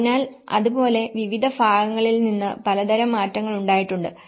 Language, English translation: Malayalam, So, like that, there has been a variety of changes from different categories